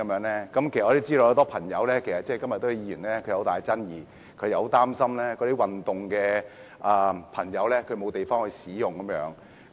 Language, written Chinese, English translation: Cantonese, 其實，我知道很多朋友，以及今天很多議員對此也有異議，他們擔心一些想運動的朋友會沒有場地使用。, In fact I know that this has met disagreement from a lot of people as well as from a number of Members today as they are worried that some people will have no venue to do sports